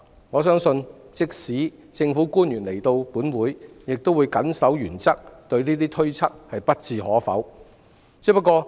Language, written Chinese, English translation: Cantonese, 我相信即使政府官員來到立法會亦會謹守原則，對上述推測不置可否。, I believe that even if public officers attend before the Council they will uphold their principle of making no comment about the speculation